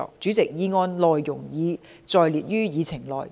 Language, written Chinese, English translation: Cantonese, 主席，議案內容已載列於議程內。, President the content of the motion is set out on the Agenda